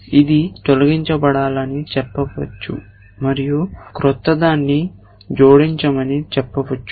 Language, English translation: Telugu, It might say this to be deleted and it might say new one to be added